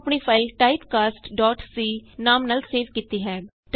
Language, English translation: Punjabi, I have saved my file as typecast.c